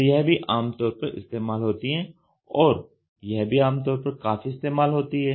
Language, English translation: Hindi, So, this is also commonly used and this is also commonly used